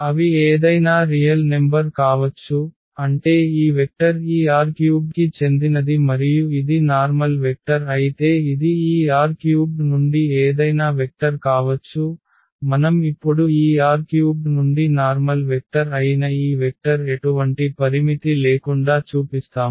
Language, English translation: Telugu, They can be any real number meaning that this vector belongs to this R 3 and it’s a general vector yet can it can be any vector from this R 3 and what we will, what we are supposed to do now